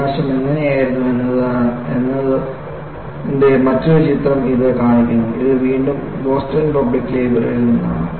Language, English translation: Malayalam, And, this shows another picture of how the devastation was and this is again, the courtesy goes to Boston public library